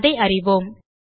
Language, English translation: Tamil, Lets find out